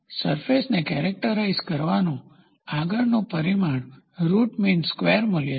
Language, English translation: Gujarati, The next parameter to characterize a surface is going to be Root Mean Square Value